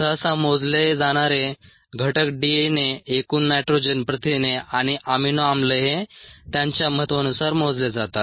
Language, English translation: Marathi, the typical contents that are measured are DNA, total nitrogen, protein, an amino acids, in that order of importance